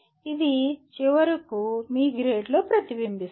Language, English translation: Telugu, It should get reflected finally into your grade